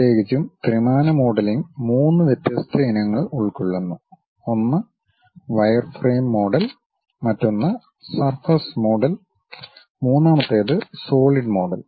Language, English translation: Malayalam, Especially, the three dimensional modelling consists of three different varieties: one is wireframe model, other one is surface model, the third one is solid model